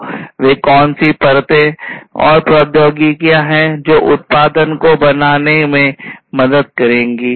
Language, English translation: Hindi, So, what are the layers and technologies that will help in creating values